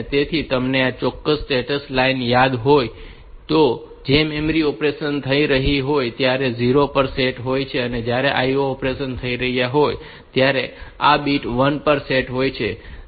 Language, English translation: Gujarati, So, you remember this particular status line, which is set to 0 when the memory operations are taking place and this bit is set to 1 when IO operations are taking place